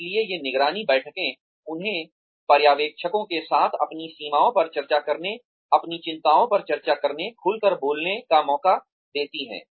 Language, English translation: Hindi, So, these monitoring meetings give them, a chance to open up, to discuss their concerns, to discuss their limitations, with the supervisor